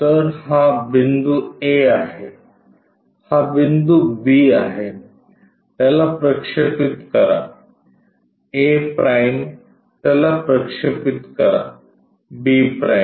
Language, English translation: Marathi, So, this is A point, this is B point, project this one a’ project that b’